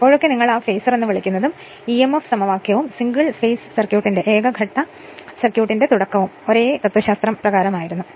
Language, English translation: Malayalam, Whenever we have given that your what you call that sinusoidal and phasor and that emf equation were the beginning of the single phase circuit the same philosophy right